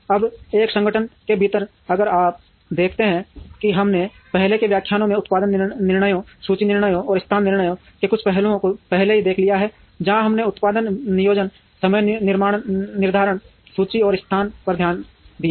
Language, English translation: Hindi, Now, within an organization if you see we have already seen some aspects of production decisions, inventory decisions, and location decisions in the earlier lectures, where we have looked at production planning, scheduling, inventory, and location